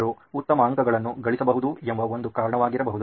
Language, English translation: Kannada, They can score better marks that could be one reason